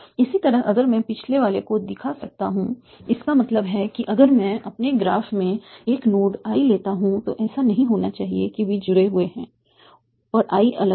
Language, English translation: Hindi, Similarly if I can if I can show the previous one that means that if I take a node i in my graph it should not happen that they are connected and is isolated